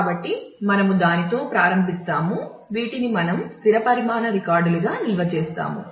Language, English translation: Telugu, So, we will start with that; so this is what we have we store these are fixed size records